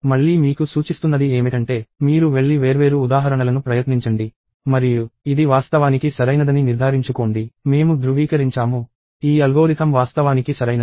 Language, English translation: Telugu, So, again I suggest that, you go and try the different examples and ensure that, this is actually correct; we go and verify that, this algorithm is actually correct